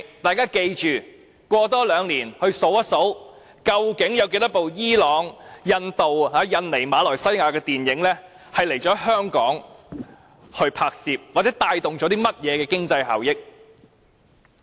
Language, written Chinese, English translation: Cantonese, 大家切記要在兩年後數算一下，究竟有多少部伊朗、印度、印尼、馬來西亞電影曾來港進行拍攝，又或從中帶來了甚麼經濟效益。, A review should be made two years later on how the initiative has been implemented so as to find out location filming has been conducted for how many Iranian Indian Indonesian Malaysian films here in Hong Kong and what economic benefits have thus been generated